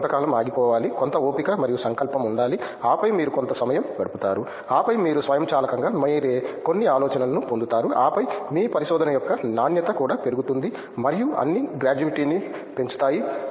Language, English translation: Telugu, You just have to hang on for some time have some patience and determination and then, just you will spend some time and then you will automatically get some ideas by yourself and then the quality also of your research and all will be increasing gratuity